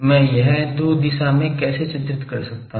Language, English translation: Hindi, How I draw this two direction